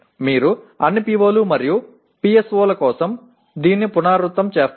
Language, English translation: Telugu, You repeat this for all POs and PSOs